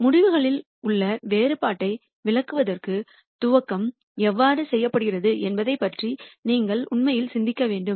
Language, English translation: Tamil, So, to interpret the difference in the results you have to really think about how the initialization is done